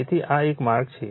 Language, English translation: Gujarati, So, this is one way